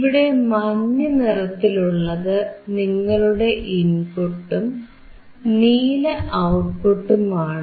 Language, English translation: Malayalam, Yellow one is your input and blue one is your output